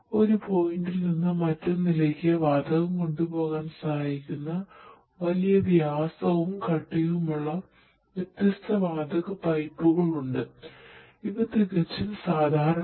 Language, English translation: Malayalam, So, there are different gas pipes; big big big thick gap gas pipes of large diameters that can help in carrying the gas from one point to another